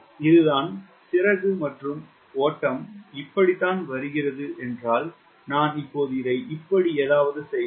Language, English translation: Tamil, the wing and flow is coming like this if i now make it something like this